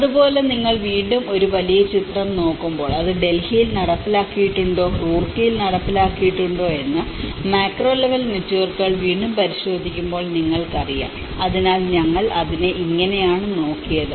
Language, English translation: Malayalam, So, similarly when you are looking at a larger picture that is again the macro level networks whether it has been implemented in Delhi, whether implemented in Roorkee you know so this is how we looked at it